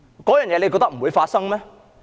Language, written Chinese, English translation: Cantonese, 大家覺得這不會發生嗎？, Do Members think that this will not happen?